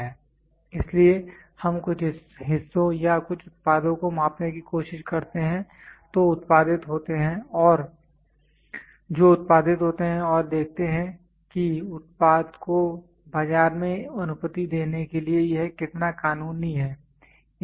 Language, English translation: Hindi, So, we try to measure certain parts or certain products which are produced and see how legal it is for allowing the product in to the market